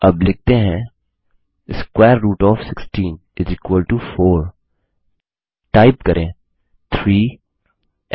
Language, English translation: Hindi, Now let us write square root of 16 = 4 Type 3